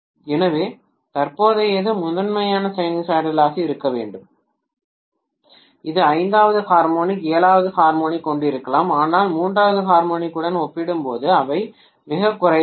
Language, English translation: Tamil, So the current has to be primarily sinusoidal, it may have fifth harmonic, seventh harmonic but those are minuscule as compared to third harmonic